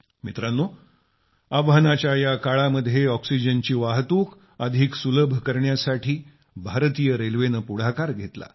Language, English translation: Marathi, Friends, at this very moment of challenge, to facilitate transportation of oxygen, Indian Railway too has stepped forward